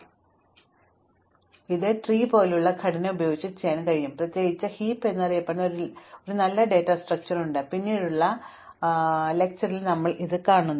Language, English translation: Malayalam, So, this can be done using tree like structure in particular we will see in a later lecture that there is a nice data structure called heap which precisely allows us to do these two operations in log n time